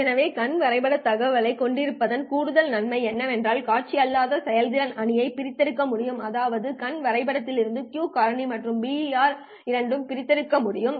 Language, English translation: Tamil, So the additional advantage of having eye diagram information is that it is possible to extract the non visual performance matrix that is Q factor and BER both from the I diagram